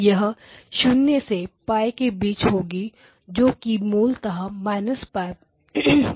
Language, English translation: Hindi, It will be from 0 to pi it is basically minus pi to pi basically